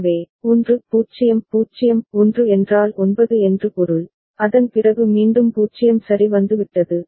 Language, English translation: Tamil, So, 1 0 0 1 means 9, after that again 0 has come ok